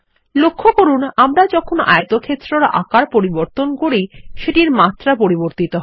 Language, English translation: Bengali, Note that when we re size the rectangle again, the dimensions change